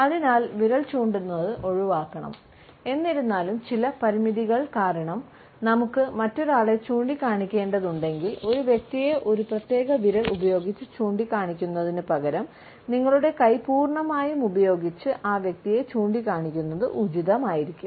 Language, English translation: Malayalam, So, finger pointing should be avoided; however, if because of certain constraints we have to point at certain other person, it would be still appropriate to point at a person using your complete hand, instead of pointing a person using a particular finger